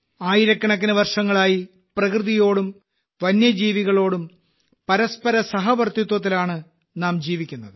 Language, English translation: Malayalam, We have been living with a spirit of coexistence with nature and wildlife for thousands of years